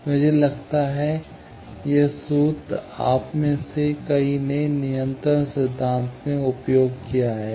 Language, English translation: Hindi, I think, this formula, many of you have used in the control theory